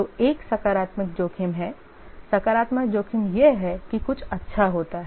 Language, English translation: Hindi, The positive risk is that something good happens